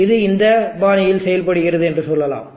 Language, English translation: Tamil, Now let us say it behaves in this fashion